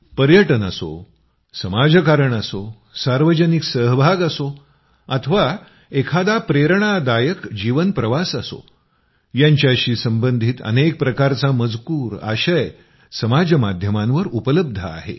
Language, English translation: Marathi, Be it tourism, social cause, public participation or an inspiring life journey, various types of content related to these are available on social media